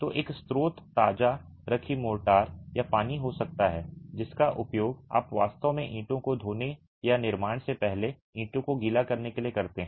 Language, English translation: Hindi, So, one source could be the freshly laid motor or the water that you use to actually wash the bricks or wet the bricks before construction